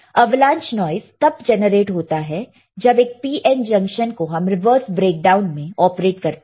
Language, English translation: Hindi, Avalanche noise is created when a PN junction is operated in the reverse breakdown model all right